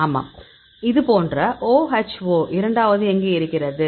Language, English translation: Tamil, Yes then the second one like this OHO is present here